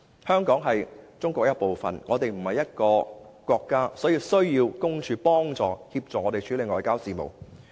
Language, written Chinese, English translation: Cantonese, 香港不是一個國家，是中國的一部分，所以需要特派員公署幫助、協助處理外交事務。, Hong Kong is not a country but a part of China so we need OCMFAs help to deal with foreign affairs